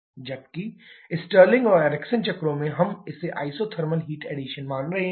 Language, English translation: Hindi, Whereas in Stirling and Ericsson cycles we are assuming this to be isothermal heat addition